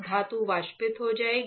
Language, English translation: Hindi, The metal will get evaporated